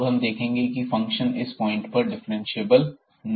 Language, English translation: Hindi, So, we will now move to show that the function is not differentiable at this point